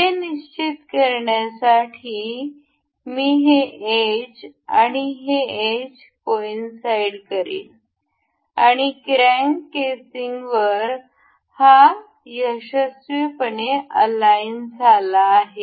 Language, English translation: Marathi, To fix this I will select this edge and this edge to coincide, and it successfully aligns over the crank casing